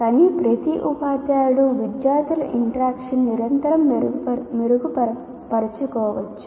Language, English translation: Telugu, But every teacher can make do with continuous improvement in student interaction